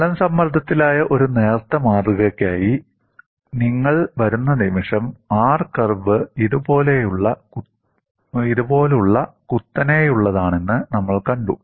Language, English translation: Malayalam, The moment you come for a thin specimen which is in plane stress, we saw that the R curve was very steep like this